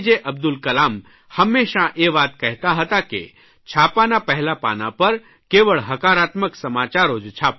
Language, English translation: Gujarati, Abdul Kalam, used to always say, "Please print only positive news on the front page of the newspaper"